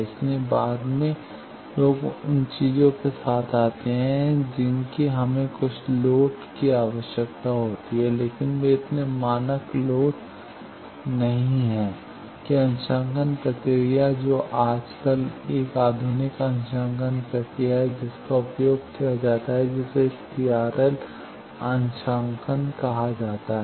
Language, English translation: Hindi, So, later people come up with the things that we need those some loads, but they are not so correct standard loads that calibration procedure which is a modern calibration procedure nowadays used that is called TRL calibration